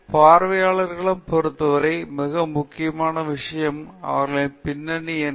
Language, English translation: Tamil, So, the most important thing with respect to the audience is what is their background